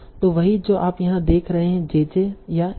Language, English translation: Hindi, So that's what you are seeing here, J